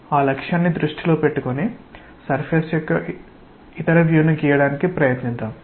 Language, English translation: Telugu, With that objective in mind let us try to maybe draw the other view of the surface